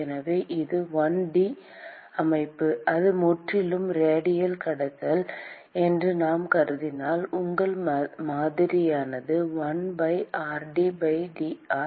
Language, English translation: Tamil, So, if we assume that it is 1 D system, that is purely radial conduction, then your model is 1 by r d by dr